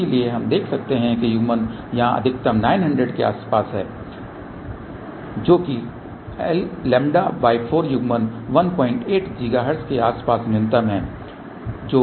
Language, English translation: Hindi, So, we can see that the coupling is maximum here around nine hundred which is lambda by 4 coupling is minimum around 1